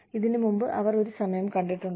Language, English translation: Malayalam, And, they saw a time, before this